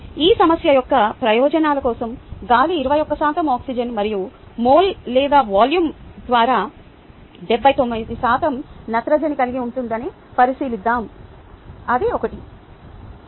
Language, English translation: Telugu, for the purposes of this problem, let us consider air to consist of twenty one percent oxygen and seventy nine percent nitrogen by mole or volume